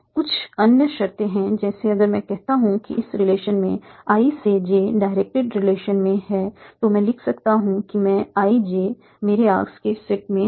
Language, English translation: Hindi, There are some other conditions like if I say that from I, there is relation from I to J, direct relation, then I can write that IJ is in my set of arcs